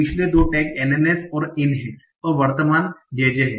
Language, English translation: Hindi, The previous two tags are NNS and IN and the current tag is J J